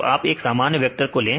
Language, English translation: Hindi, So, take a normal vector